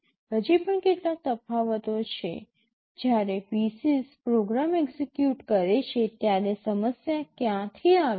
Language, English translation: Gujarati, There are still some differences; when a PC executes the program, from where does the problem come from